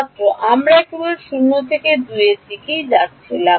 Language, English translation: Bengali, The inside we were just going from 0 or 2 2